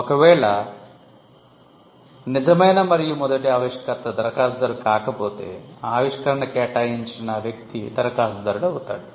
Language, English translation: Telugu, In case the true and first inventor is not the applicant, then the person to whom the invention is assigned becomes the applicant